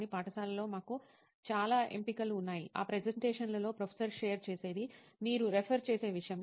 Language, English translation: Telugu, But in college we have a lot of options, in that presentations which professor shares, that is something which you refer